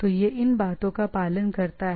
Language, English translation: Hindi, So, it follows the things